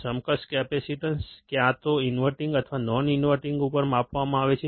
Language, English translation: Gujarati, The equivalent capacitance measured at either inverting or non inverting